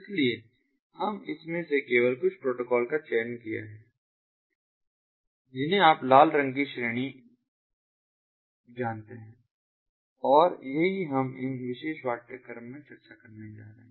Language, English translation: Hindi, so we have selected only a few protocols from this ah, you know, red coloured ah category, ah, and this is what we are going to discuss: ah in ah, this particular course